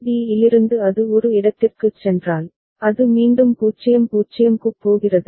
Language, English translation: Tamil, And from d if it is goes to a, it is again is going to 0 0